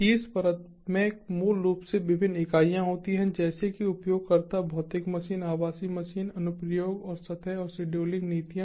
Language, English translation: Hindi, the top layer basically has different entities, such as the users, the physical machine, the virtual machines, the applications and surfaces and scheduling policies